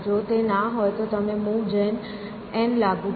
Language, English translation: Gujarati, If it is no you apply move gen n